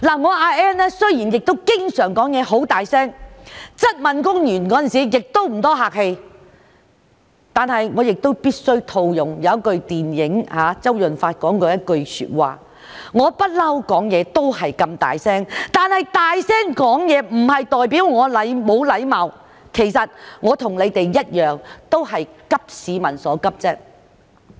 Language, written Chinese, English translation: Cantonese, 我阿 Ann 雖然經常說話聲音很大，質問官員的時候亦不太客氣，但我必須套用周潤發在一套電影中說過的一句話："我一向說話都是這麼大聲，但大聲說話不代表我沒有禮貌"，其實我與他們一樣都是急市民所急。, My voice may be loud and I may not be very polite when I query government officials but let me use a quote from actor CHOW Yun - fat in a movie I always speak so loudly but speaking loudly does not mean I am impolite . Actually both government officials and I care about the anxiety of the people